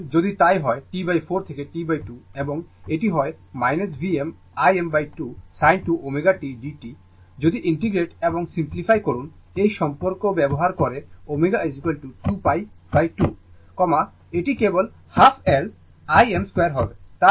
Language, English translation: Bengali, Therefore, if you do, so, if we do, so, the T by 4 to T by 2 and it is minus minus V m I m by 2 sin 2 omega t dt, if you integrate and simplify use this relationship omega is equal to 2 pi by 2, it will be simply half L I m square